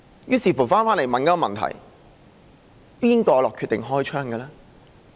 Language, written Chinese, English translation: Cantonese, 於是，我們便會問一個問題，誰決定開槍？, Accordingly we would ask the question Who made the decision to open fire?